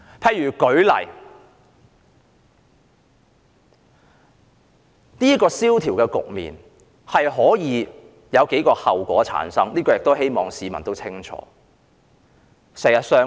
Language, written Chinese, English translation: Cantonese, 我舉例來說，經濟蕭條的局面可能會產生數個後果，希望市民也清楚。, An economic depression may produce a number of consequences and I hope members of the public will understand